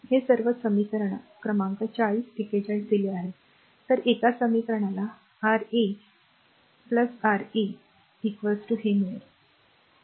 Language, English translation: Marathi, These all equation number 40 41 is given; so, a one equation you got Ra R 1 plus R 3 is equal to these one